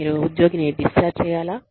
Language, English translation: Telugu, Should you discharge the employee